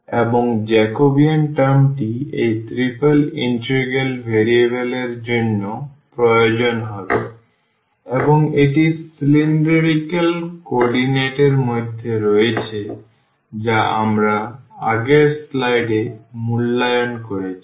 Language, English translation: Bengali, And, also the Jacobian term which will be requiring for this change of variable of this triple integral and that is in cylindrical co ordinate that is also r we have just evaluated in the previous slide